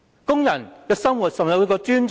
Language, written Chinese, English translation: Cantonese, 工人的生活有否受到尊重？, Is the workers life respected?